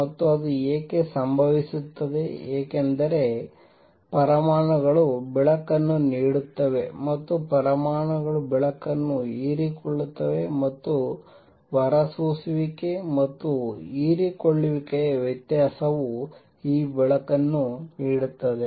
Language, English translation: Kannada, And why does that happen that happens because there are atoms that will be giving out light, and there are atoms that will be absorbing light, and the difference of the emission and absorption gives this light